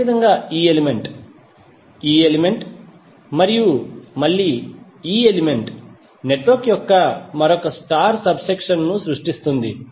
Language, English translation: Telugu, Similarly, this element, this element and again this element will create another star subsection of the network